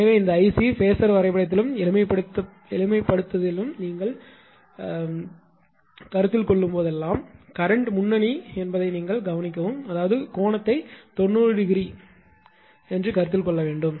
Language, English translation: Tamil, So, whenever ah whenever you consider I c in this ah phasor diagram and simplification, please see that current is leading; that means, that that angle has to be considered by 90 degree right